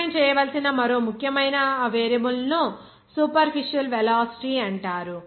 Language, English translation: Telugu, Another important variable that should be defined is called superficial velocity